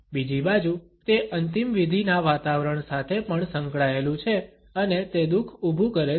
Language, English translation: Gujarati, On the other hand, it is also associated with a funeral atmosphere and they evoke sorrow